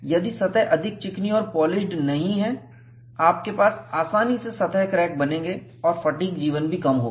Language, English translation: Hindi, If the surface is not very smooth and polished, you will have easy formation of surface cracks and fatigue life also would be less